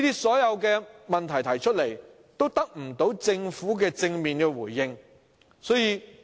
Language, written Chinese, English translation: Cantonese, 所有這些問題都得不到政府正面回應。, The Government has not directly responded to any of these questions